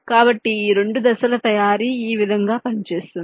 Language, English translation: Telugu, so this is how this two step manufacturing works